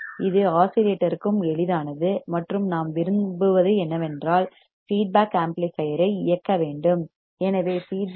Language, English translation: Tamil, This is also easy for the oscillator and what we want is that the feedback should drive the amplifier